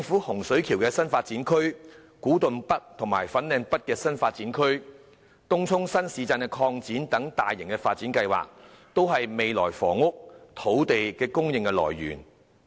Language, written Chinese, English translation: Cantonese, 洪水橋新發展區、古洞北和粉嶺北新發展區、東涌新市鎮擴展等大型發展計劃，均是未來的房屋和土地供應來源。, Large - scale development plans such as the Hung Shui Kiu New Development Area the Kwu Tung NorthFanling North New Development Areas and the Tung Chung New Town Extension are meant as the sources of land and housing supply in the future